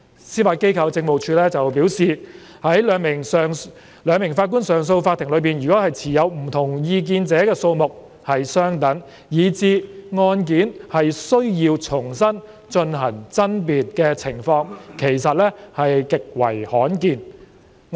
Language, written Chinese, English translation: Cantonese, 司法機構政務處表示，在兩名法官上訴法庭中持不同意見者的數目相等，以致案件須重新進行爭辯的情況極為罕見。, As advised by the Judiciary Administration it is extremely rare that the members of a two - JA bench are equally divided and the case has to be re - argued